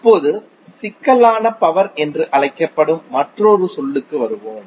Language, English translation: Tamil, Now let’s come to another term called Complex power